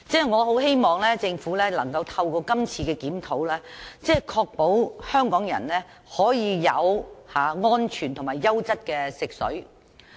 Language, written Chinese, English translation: Cantonese, 我希望政府能夠透過今次的修訂，確保香港人可以有安全及優質的食水。, Through this amendment exercise I hope that the Government can ensure safe and quality drinking water for Hong Kong people